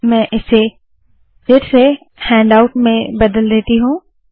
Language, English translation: Hindi, Let me change this back to handout